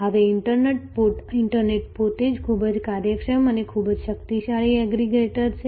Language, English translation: Gujarati, Now, the internet itself is a very efficient and very powerful aggregator